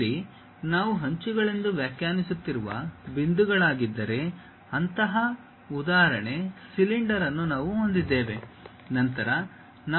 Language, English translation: Kannada, Here we have such an example cylinder, if these are the points what we are defining as edges; then we can construct by arcs also